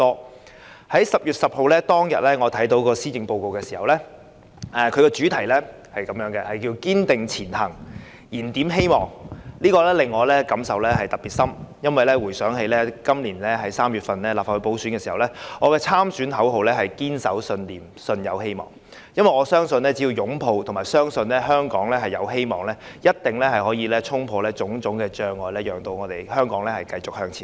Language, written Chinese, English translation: Cantonese, 我在10月10日看到施政報告的主題是"堅定前行燃點希望"時，我的感受特別深。原因是我回想今年3月參加立法會補選時，我的參選口號是"堅守信念舜有希望"，因為我相信只要擁抱和相信香港有希望，便一定能衝破種種障礙，讓香港繼續向前走。, Upon seeing on 10 October that the Policy Address was titled Striving Ahead Rekindling Hope I was deeply touched because it put me in mind of my slogan Hopes and Beliefs for the Legislative Council by - election campaign in March which was based on my belief that as long as we embrace hope and optimism about Hong Kong we will surely break through all kinds of obstacles and continue to move forward